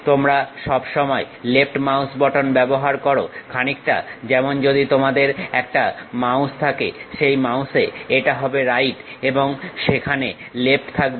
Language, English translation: Bengali, You always use left mouse button, something like if you have a mouse, in that mouse the right one, left one will be there